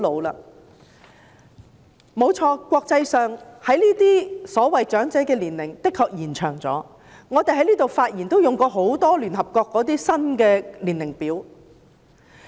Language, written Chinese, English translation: Cantonese, 誠然，國際上所謂長者的年齡的確延後了，我們在立法會發言時亦經常引用聯合國的新年齡表。, It is true that the age of the so - called elderly people has indeed been pushed back in the international arena . We often quote the new table of age groups promulgated by the United Nations in our speeches in the Legislative Council as well